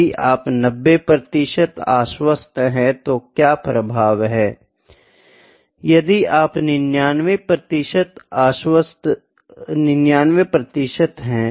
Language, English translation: Hindi, If you are 90 percent confident what is the influence, if you are 99 percent what is the influence